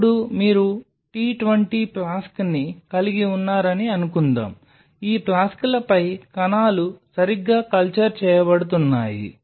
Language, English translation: Telugu, Now think of it suppose you have a t 20 flask you have these flasks on which cells are being cultured right